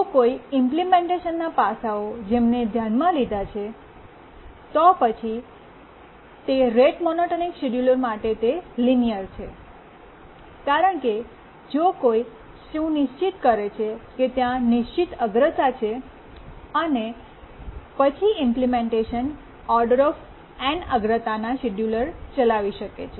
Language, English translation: Gujarati, If you look at the implementation aspects that we are considering, it's linear for rate monotonic schedulers because if you remember, it said that there are fixed priorities and then the implementation that we had, we could run the scheduler in O 1 priority